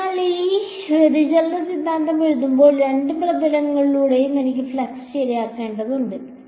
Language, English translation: Malayalam, So, when I write down this divergence theorem, I have to right down the flux through both surfaces right